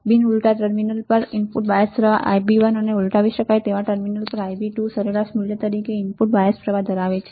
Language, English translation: Gujarati, It has an input bias current as an average value of input bias currents Ib1 at non inverted terminal and Ib2 at inverting terminal